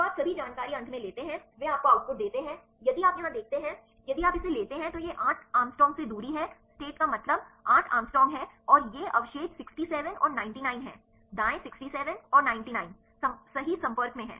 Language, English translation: Hindi, So, you take all the information finally, they give you the output if you see here if you take this is 8 angstrom distance the state means 8 angstrom and these are the residue 67 and 99, right 67 and 99 are in contact right with the probability of this is the probability of 0